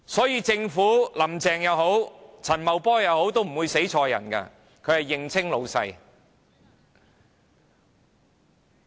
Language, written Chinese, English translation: Cantonese, 因此政府，無論"林鄭"或陳茂波也不會弄錯，他們會認清誰是老闆。, Hence the Government no matter Mrs Carrie LAM or Paul CHAN will not make a mistake as it will recognize who its masters are